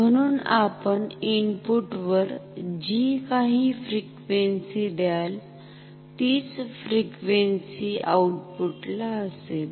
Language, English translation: Marathi, So, whatever frequency you give at the input, output will have same frequency ok